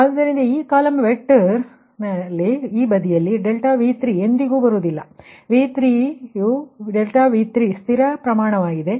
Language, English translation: Kannada, so in that column vector, this side right, that delta v three will never come because v three as delta v three is fixed magnitude